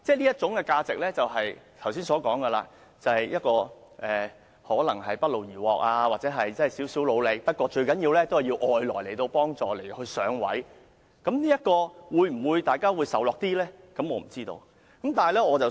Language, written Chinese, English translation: Cantonese, 這種價值即剛才所說的一種不勞而獲或只付出少許努力，但主要依賴外來幫助而"上位"的價值，這樣大家會否較易接受呢？, This kind of value is the value of gaining without pain or getting reward with little effort made which is the value of securing a higher position mainly by receiving outside help . Will you find it easier to accept if this is the case?